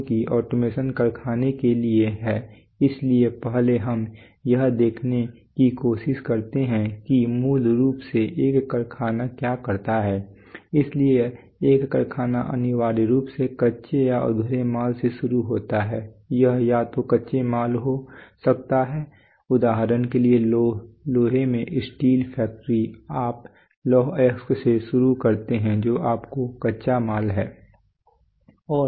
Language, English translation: Hindi, So let’s first try to understand since automation is for the factory let us first try to see what basically a factory does, so a factory essentially, a factory essentially starts with raw or unfinished material it could be either raw material, for example in an iron steel factory you start with iron ore that’s your raw material